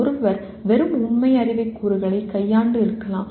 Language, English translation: Tamil, One may be dealing with just factual knowledge elements